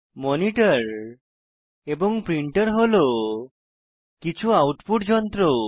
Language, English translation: Bengali, Monitor and printer are some of the output devices